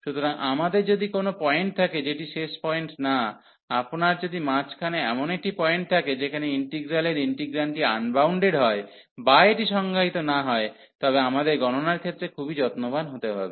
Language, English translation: Bengali, So, if we have a point not the end point, if you have a point in the middle where the integral is getting is integrand is unbounded or it is not defined, we have to be very careful for the evaluation